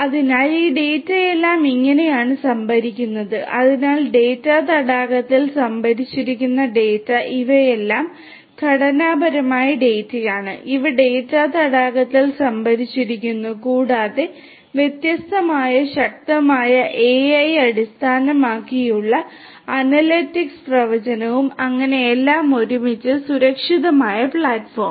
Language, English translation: Malayalam, So, this is how this all this data are stored, so the data stored in the data lake all these are unstructured data these are stored in the data lake plus there are different powerful AI based analytics prediction and so on and everything together is a secured platform